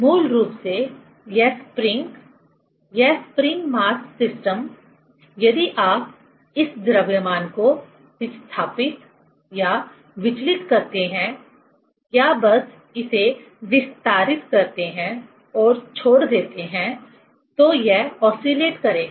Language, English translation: Hindi, Basically, this spring, this spring mass system, just if you displace or disturb this mass or just extend it and leave it then it will oscillate